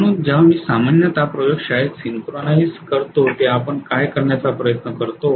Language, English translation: Marathi, So when I am synchronizing generally in the laboratory what we try to do is